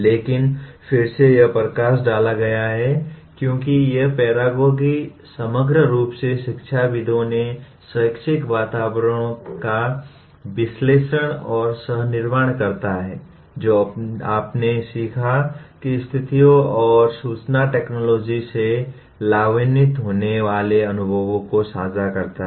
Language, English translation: Hindi, But again it highlights as paragogy deals with analyzing and co creating the educational environment as a whole by the peers who share their learning situations and experiences benefitting from information technology